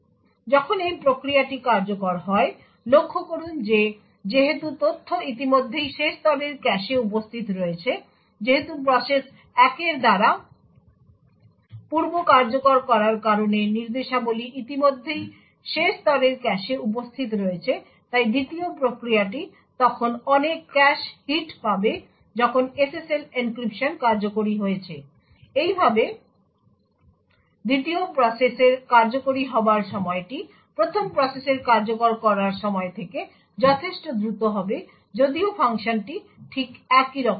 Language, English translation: Bengali, So when this process executes, note that since the data is already present in the last level cache, note that since the instructions are already present in the last level cache due to the prior execution by process 1, the 2nd process would then get a lot of cache hits when SSL encryption is executed, thus the execution time for the 2nd process would be considerably faster than the execution time for the 1st process even though the function is exactly identical